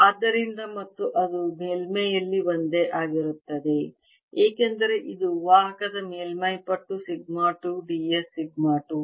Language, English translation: Kannada, so, and that's the same all over the surface because it's a conducting surface times: sigma two, d s, sigma two